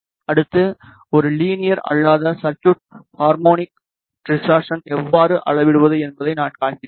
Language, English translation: Tamil, Next I will demonstrate how to measure the harmonic distortion in a non linear circuit